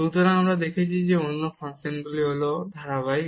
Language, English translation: Bengali, So, we have seen the other function is continuous